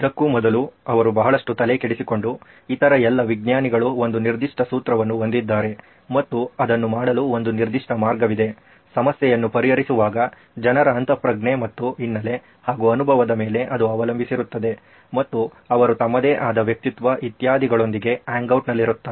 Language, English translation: Kannada, And now he was also bothered by the fact prior to this is that all the other sciences seem to have a certain formula, a certain way to do it except, when it came to problem solving people relied on intuition and a background and experience and people who they hung out with whatever or their own persona, etc etc